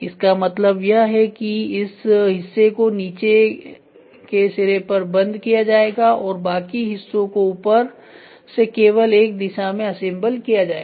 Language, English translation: Hindi, That means, to say the part will be locked at the bottom end and rest of all parts which are to be assembled happens only in one direction from the top